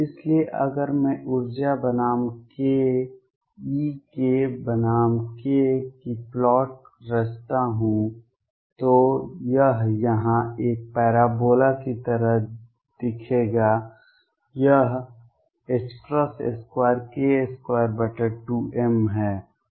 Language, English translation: Hindi, So, if I would plot energy versus k, E k versus k it would look like a parabola here, this is h cross square k square over 2 m